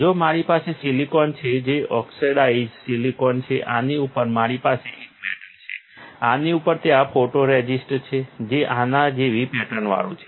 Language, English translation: Gujarati, If I have silicon that is the oxidized silicon, on this I have a metal, on this there is a photoresist which is patterned like this, ok